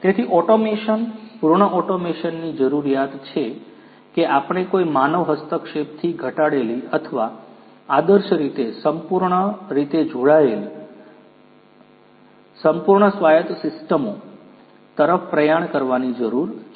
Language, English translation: Gujarati, So, automation, full automation we need to have we need to strive towards fully connected fully autonomous systems with reduced or ideally no human intervention